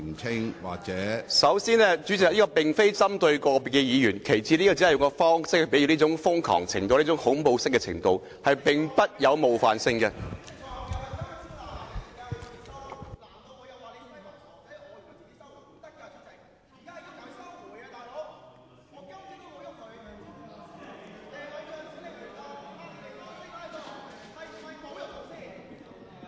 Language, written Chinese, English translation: Cantonese, 主席，首先，這句話並非針對個別議員；其次，這句話只是比喻他們"拉布"的瘋狂和恐怖程度，並沒有冒犯性。, President first the remark does not target any individual Member . Second it is just an analogy that describes how crazy and terrible their filibustering is . It is not offensive